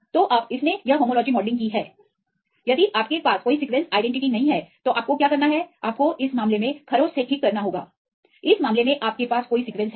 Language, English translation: Hindi, So, now, it did this homology modelling if you do not have any sequence identity then what you have to do you have to do from the scratch right in this case you have any sequence